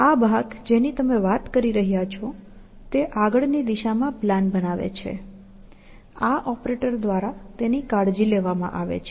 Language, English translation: Gujarati, So, this part, that you are talking about, it constructs plan in a forward direction, is taken care of by this operator, essentially